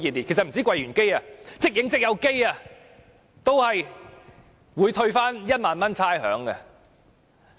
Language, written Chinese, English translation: Cantonese, 其實不單是櫃員機，即影即有照相機也會獲退1萬元差餉。, Actually not only ATM machines but automatic photo machines in MTR stations will also be exempted from paying 10,000 in rates